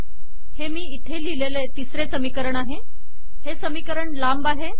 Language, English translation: Marathi, So I have a third equation that I have added here, its a long equation